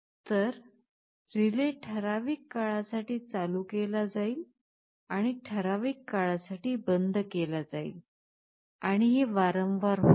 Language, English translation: Marathi, So, the relay will be turned ON for certain time and turned OFF for certain time, and this will happen repeatedly